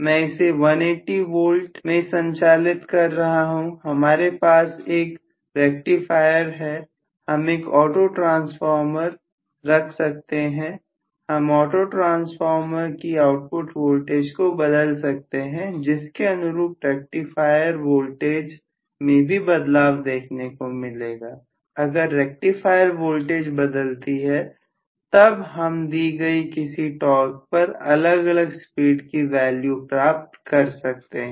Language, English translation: Hindi, I can operate it at 180 volts, I have a rectifier maybe I can put a autotransformer, autotransformer a rectifier I can always vary the voltage output of the autotransformer, the rectifier voltage will also change correspondingly, if the rectifier voltage changes I should be able to get different values of speed at a given torque